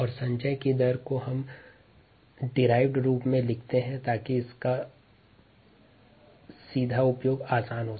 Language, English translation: Hindi, and the rate of accumulation we write as the derivative so that the form is easy to directly use